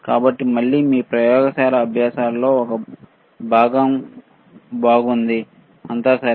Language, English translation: Telugu, So, again a part of your good laboratory practices, cool, all right